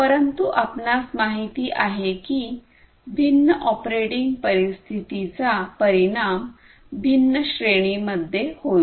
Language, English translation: Marathi, But, you know different operating conditions will have different will result in different ranges and so on